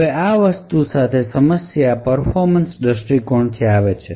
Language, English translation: Gujarati, Now the problem with this thing comes from a performance perspective